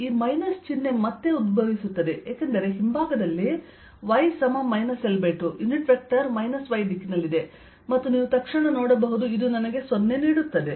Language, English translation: Kannada, this minus sign again arises because on the backside, at y equals minus l by two, the unit vector is in the minus y direction and this, you can see immediately, gives me zero